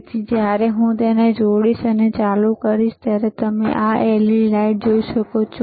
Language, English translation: Gujarati, So, when I connect it, and I switch it on, you will be able to see this LED lighte light here, right this led right